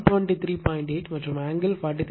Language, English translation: Tamil, 8 and angle will be 43